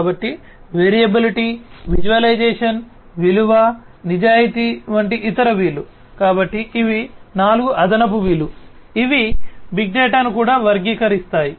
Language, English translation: Telugu, So, other v’s like variability, visualization, value, veracity, so these are 4 additional V’s that will also characterize big data